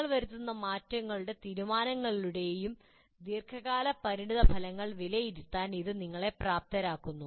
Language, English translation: Malayalam, This enables you to evaluate the long term consequences of any changes and decisions that you make